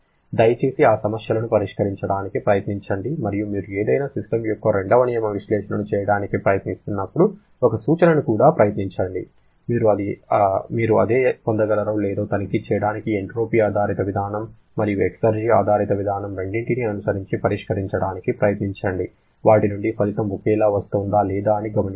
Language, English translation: Telugu, Please try to solve those problems and also one suggestion whenever you are trying to performing second law analysis of any system, try to solve following both the approaches that is both entropy based approach and exergy based approach to check whether you can get the same result from them or not